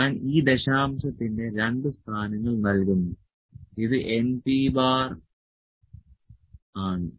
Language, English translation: Malayalam, So, I will just give this two places of decimal, so this is n P bar